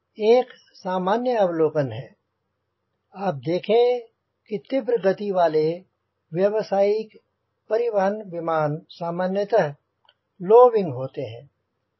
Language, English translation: Hindi, one general observation you can note down: high speed commercial transport are generally low wing